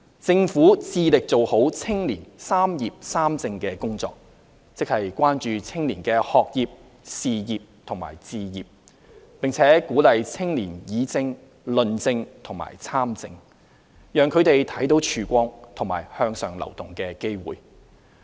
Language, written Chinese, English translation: Cantonese, 政府致力做好青年"三業三政"工作，即關注青年的學業、事業及置業，並鼓勵青年議政、論政及參政，讓他們看到曙光和向上流動的機會。, The Government strives to address young peoples concerns about education career pursuit and home ownership and encourage their participation in politics as well as engagement in public policy discussion and debate . The aim is to enable the younger generation to see hope and opportunities for upward mobility